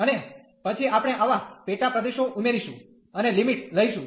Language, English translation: Gujarati, And then we add such sub regions and take the limits